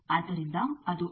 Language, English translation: Kannada, So, that is there